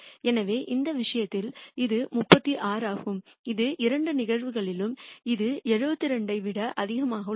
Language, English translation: Tamil, So, in this case this is 36 this is 72 in both cases this is greater than 0